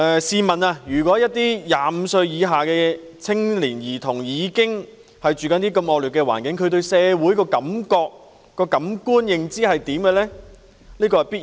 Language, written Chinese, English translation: Cantonese, 試問一些25歲以下的年青人和兒童居住在如此惡劣的環境中，他們對社會的感覺或認知會如何？, May I ask for young people aged below 25 and children living in such undesirable environment what feeling or perception do they have about society?